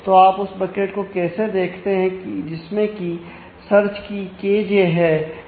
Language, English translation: Hindi, So, how do you look at the bucket that contains the search key K j